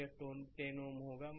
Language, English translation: Hindi, So, 10 ohm will be here right